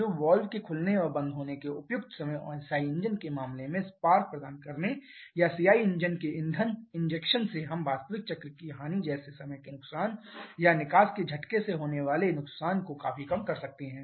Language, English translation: Hindi, So, by suitable timing of valve opening and closing and also providing the spark in case of a SI engine or fuel injection of CI engine we can significantly reduce the actual cycle losses like the time losses or exhaust blowdown losses